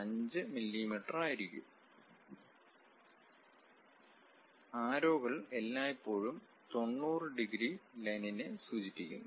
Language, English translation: Malayalam, 5 mm; and the arrows always be representing 90 degrees line